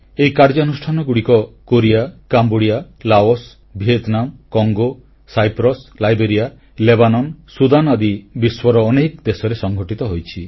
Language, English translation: Odia, These operations have been carried out in Korea, Cambodia, Laos, Vietnam, Congo, Cyprus, Liberia, Lebanon, Sudan and many other parts of the world